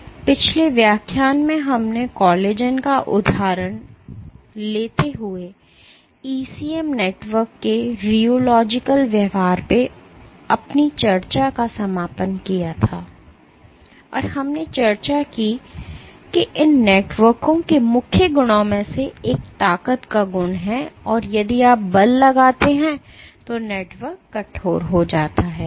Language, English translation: Hindi, So, in the last lecture we had concluded our discussion on rheological behaviour of ECM networks taking the example of collagen and we discussed that one of the main properties of these networks is this property of strength stiffening or the network becoming stiff if you exert force on it